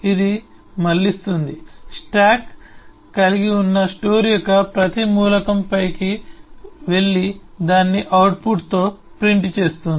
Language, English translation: Telugu, It iterates, goes over each and every element of the store that the stack has and prints it with the output